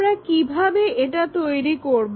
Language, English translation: Bengali, When we are doing that